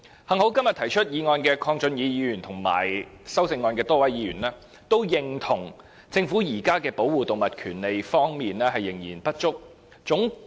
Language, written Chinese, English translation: Cantonese, 幸好今天提出議案的鄺俊宇議員和修正案的多位議員皆認同，政府現時在保護動物權利方面仍有不足之處。, Fortunately the mover of todays motion Mr KWONG Chun - yu and a number of Members who have proposed amendments all agreed that the Government has presently not done enough to protect animal rights